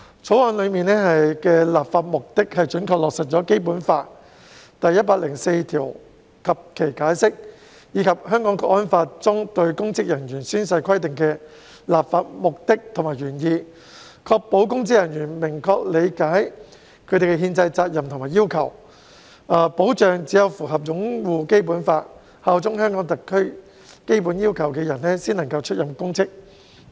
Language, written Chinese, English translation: Cantonese, 《條例草案》的立法目的是準確落實《基本法》第一百零四條及《解釋》，以及《香港國安法》中公職人員宣誓規定的立法目的和原意，確保公職人員明確理解他們的憲制責任和要求，以及只有符合"擁護《基本法》、效忠香港特區"這項基本要求的人才能出任公職。, This serves as an important basis for establishing the principle of patriots administering Hong Kong . The legislative purpose of the Bill is to accurately implement Article 104 of the Basic Law and the Interpretation as well as the legislative purpose and intent of the oath - taking requirements for public officers stipulated in the National Security Law thereby ensuring that public officers understand their constitutional duties and requirements clearly and only those who fulfil the basic requirements of upholding the Basic Law and bearing allegiance to HKSAR are allowed to hold public office